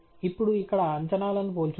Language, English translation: Telugu, Now, let’s compare the predictions here